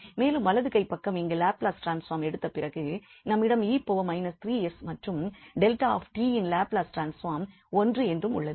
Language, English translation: Tamil, So, the right hand side here after taking the Laplace transform we will have e power minus 3 s and the Laplace transform of this delta t which is 1